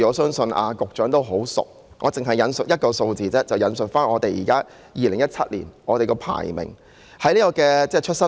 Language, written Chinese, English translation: Cantonese, 相信局長對有關數字相當熟悉，而我只想引述2017年的出生率以作說明。, I am sure the Secretary knows the relevant figures very well and I only wish to cite the birth rate in 2017 for illustration purpose